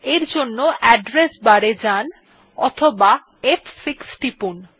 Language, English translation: Bengali, For that go to address bar or press F6